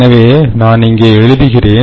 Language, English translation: Tamil, ok, so let me write it down